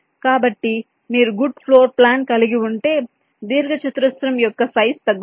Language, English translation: Telugu, so if you can have a better floor plan, your that size of the rectangle will reduce